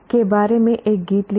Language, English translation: Hindi, Compose a song about